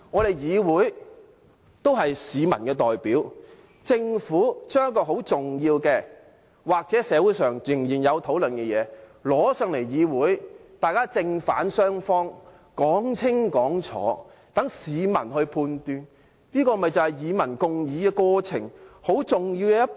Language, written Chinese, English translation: Cantonese, 立法會也是市民的代表，政府將一項很重要的，社會上仍然有討論的事情提交立法會，由正反雙方講清講楚，好讓市民作出判斷，這不就是與民共議的過程很重要的一步嗎？, The Chief Executive wishes to engage the public and what does public mean? . Members of the Legislative Council are representatives of the public . The Government has submitted an important matter which is still under discussion in society to the Legislative Council for deliberation so that Members can state their reasons for supporting or opposing the proposal and members of the public can make a judgment